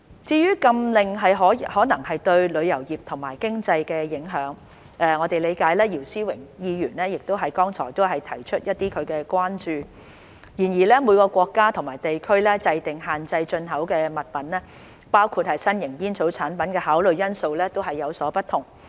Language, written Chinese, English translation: Cantonese, 至於禁令可能對旅遊業及經濟的影響，我們理解姚思榮議員剛才亦提出他的關注，然而每個國家或地區制訂限制進口物品，包括新型煙草產品的考慮因素都有所不同。, As for the possible impact of the ban on the tourism industry and the economy we understand that Mr YIU Si - wing has also raised his concerns just now . However each country or region has different considerations in setting restrictions on import items including new tobacco products